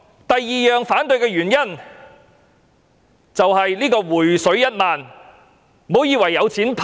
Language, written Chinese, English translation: Cantonese, 第二個反對的原因，是"回水 "1 萬元。, The second reason for my opposition is the rebate of 10,000